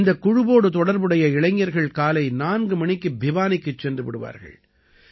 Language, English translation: Tamil, The youth associated with this committee reach Bhiwani at 4 in the morning